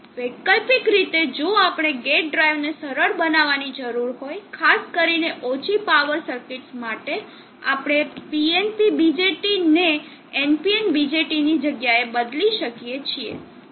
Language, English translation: Gujarati, Alternately, if we need to main the gate drive simpler especially for low power circuits we can replace the NPN BJT with the PNP BJT what happens